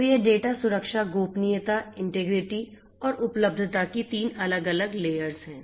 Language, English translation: Hindi, So, these are the three different layers of data protection confidentiality, integrity and availability